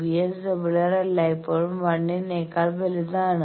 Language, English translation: Malayalam, So, VSWR we have measured to be 1